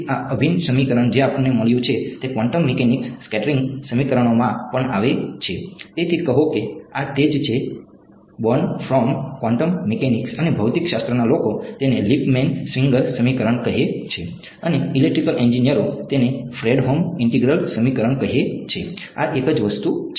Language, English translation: Gujarati, So, this integral equation that we got comes in quantum mechanics scattering equations also; so, say this is the same Born from quantum mechanics and the physics people call it Lippmann Schwinger equation and electrical engineers call it Fredholm integral equation this is the same thing